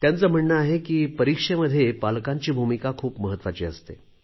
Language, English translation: Marathi, He says that during exams, parents have a vital role to play